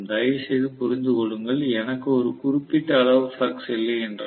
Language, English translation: Tamil, Please understand, unless I have a certain amount of flux